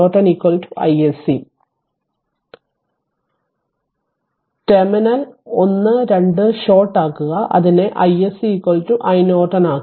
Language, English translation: Malayalam, So; that means, whatever i told the terminal 1 2 you short it and make it i SC is equal to your i Norton right